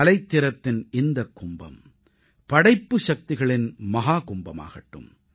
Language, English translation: Tamil, May this Kumbh of aesthetics also become the Mahakumbh of creativity